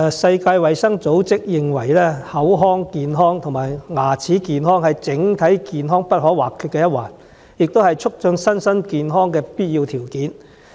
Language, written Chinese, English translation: Cantonese, 世界衞生組織認為，口腔健康和牙齒健康是整體健康不可或缺的一環，也是促進身心健康的必要條件。, The World Health Organization considers that oral health and dental health are indispensable to general health and that they are also essential to physical and psychological well - being